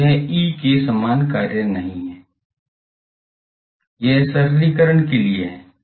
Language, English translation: Hindi, So, it is not the same function as E, this is for notational simplicity ok